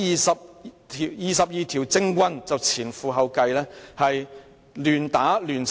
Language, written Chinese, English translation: Cantonese, '，這廿二條政棍就前仆後繼，亂打亂砌！, these 22 political thugs have rushed to level pointless attacks and accusations one after another!